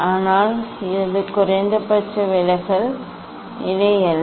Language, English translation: Tamil, but it is not the minimum deviation position